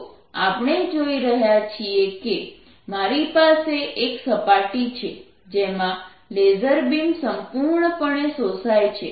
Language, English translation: Gujarati, so what we are seeing is i have a surface on which the laser beam which is coming, let's, absorbed completely